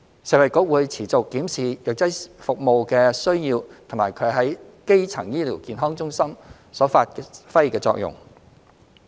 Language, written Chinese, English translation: Cantonese, 食衞局會持續檢視藥劑服務的需要及其在基層醫療健康中發揮的作用。, FHB will continue to review the demand for pharmacy services and their role in primary healthcare